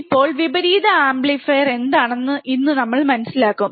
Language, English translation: Malayalam, Now, here today we will be understanding what exactly an inverting amplifier is